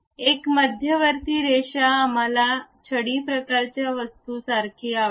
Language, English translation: Marathi, A centre line, we would like to have a cane style kind of thing